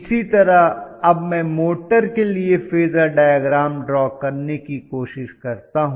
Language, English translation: Hindi, So let us try to look at the phasor diagram once again